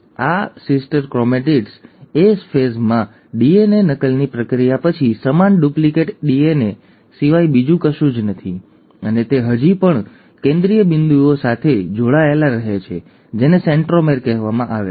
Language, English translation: Gujarati, So, these sister chromatids are nothing but the same duplicated DNA after the process of DNA replication in the S phase, and they still remain connected at a central point which is called as the centromere